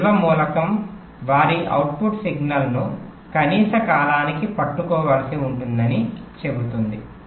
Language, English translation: Telugu, see, it says that this storage element will have to hold their output signal for a minimum period of time